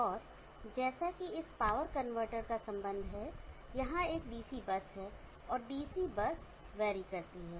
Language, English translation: Hindi, And as for this power convertor is concerned it has a DC bus here